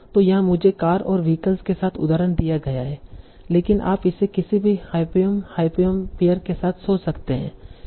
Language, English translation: Hindi, So, I am given an example with car and vehicle, but you can think of it as with any hyponym, hyponym